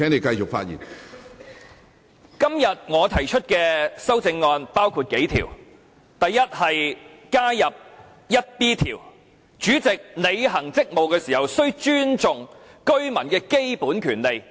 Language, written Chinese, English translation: Cantonese, 第一，在《議事規則》加入第 1B 條，以訂明主席履行職務時須尊重香港居民的基本權利。, Firstly I propose to add Rule 1B to the Rules of Procedure RoP to provide that the President in carrying out his duties at the Council shall respect the fundamental rights of Hong Kong Residents